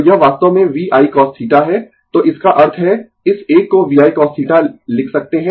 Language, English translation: Hindi, So, this is actually V I cos theta, so that means, this one we can write V I cos theta right